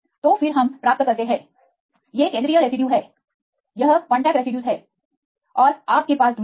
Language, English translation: Hindi, So, then we get the; these are the central residue; this is the contact residues and you have the distance